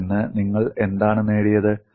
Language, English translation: Malayalam, And what I have achieved out of it